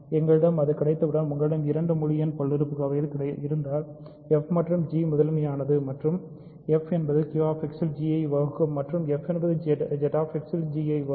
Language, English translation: Tamil, Once we have that, we are able to prove this very crucial observation that if you have two integer polynomials f and g, and f is primitive and f divides g in Q X f divides g in Z X